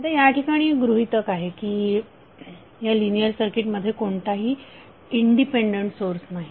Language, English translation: Marathi, Now, the assumption is that there is no independent source inside the linear circuit